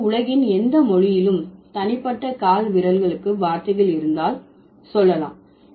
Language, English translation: Tamil, So, that is why if a language has words for individual toes, it must have words for the individual fingers